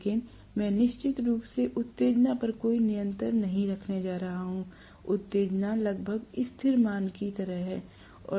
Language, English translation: Hindi, But I am going to have definitely no control over the excitation; the excitation is almost like a constant value